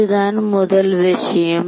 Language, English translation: Tamil, That’s the first thing